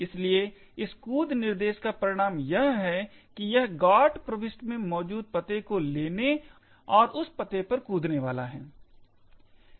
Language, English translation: Hindi, Therefore, the result of this jump instruction is that it is going to take the address present in the GOT entry and jump to that address